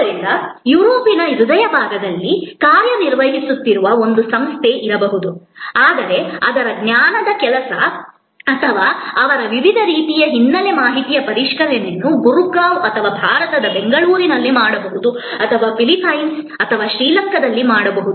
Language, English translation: Kannada, So, there can be an organization which is operating in the heart of Europe, but their knowledge work or their processing of their various kinds of background information may be done in Gurgaon or in Bangalore in India or could be done in Philippines or in Sri Lanka